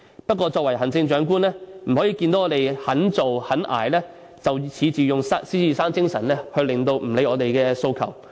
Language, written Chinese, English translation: Cantonese, 不過，作為行政長官不能看到我們肯做肯捱，便恃着獅子山精神而不理會我們的訴求。, Nonetheless as the Chief Executive he cannot disregard our aspirations after learning that we bearing the pioneering spirit of Lion Rock are willing to work hard